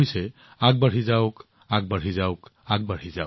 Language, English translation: Assamese, It means keep going, keep going